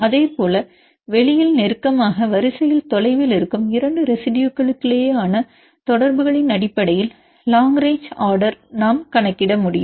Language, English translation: Tamil, That likewise we can calculate long rage order based on the contacts between 2 residues which are close in space and they are distant in the sequence